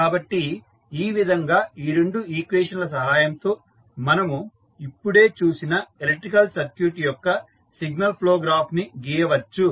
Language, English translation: Telugu, So, in this way with the help of these two equations, we can draw the signal flow graph of the electrical circuit which we just saw